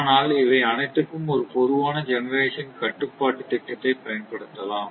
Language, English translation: Tamil, But all this a common generation control scheme can be applied